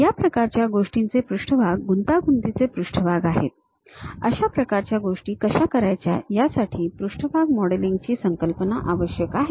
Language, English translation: Marathi, These kind of things have surfaces, a complicated surfaces; how to really make that kind of things requires surface modelling concept